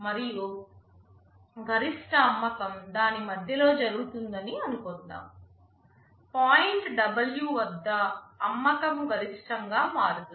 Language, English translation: Telugu, And let us assume that the maximum sale occurs in the middle of it, at point W the sale becomes maximum